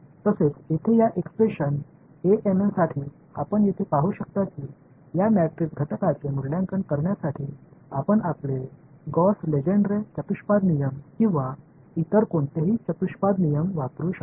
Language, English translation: Marathi, Also this the expression over here for a m n that you can see over here this is where you can use your Gauss Legendre quadrature rules, or any other quadrature rules to evaluate this matrix element